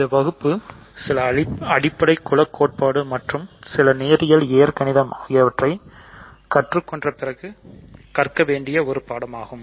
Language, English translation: Tamil, So, this is a course that one does after learning some basic group theory and some linear algebra